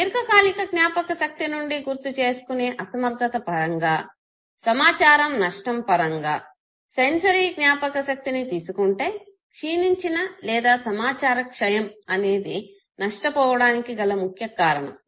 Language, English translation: Telugu, In terms of inability to recall information from long term if you consider no reasons for information loss in sensory memory decay of trace has been considered as important reason why information is lost